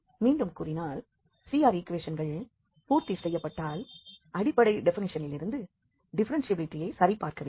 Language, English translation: Tamil, Again to repeat if CR equations are satisfied, then we have to check the differentiability from the fundamental definition